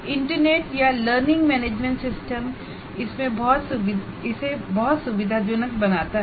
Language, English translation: Hindi, So, one can come, the internet or the learning management system can greatly facilitate that